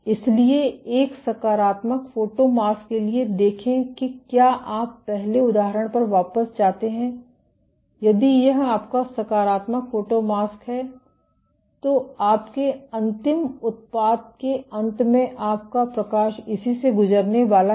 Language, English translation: Hindi, So, for a positive photomask see if you go back to the example earlier, if this is your positive photomask then your eventual product at the end of it your light is going to pass through this